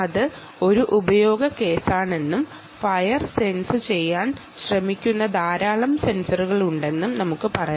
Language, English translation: Malayalam, lets say that is one use case and there are lot of sensors which are trying to sense fire and so on and so forth